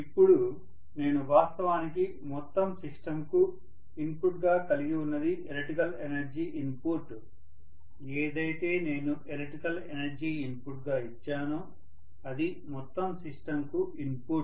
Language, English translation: Telugu, Now what actually I have input to the entire system is the electrical energy input what I have given as electrical energy input is the input to the entire system